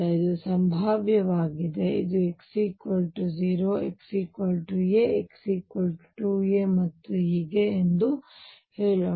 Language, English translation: Kannada, This is a potential, let us say this is at x equals 0 x equals a x equals 2 a and so on